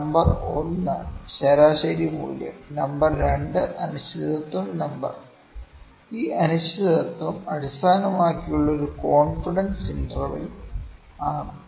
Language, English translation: Malayalam, Number 1, mean value; number 2 uncertainty number is a confidence interval on which this uncertainty is based